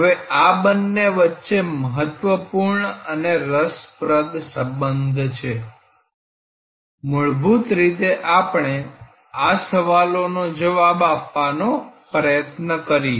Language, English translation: Gujarati, Now, there is very important and interesting relationship between these two, fundamentally we could try to answer these questions